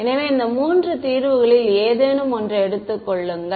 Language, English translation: Tamil, So, take any one of these three solutions ok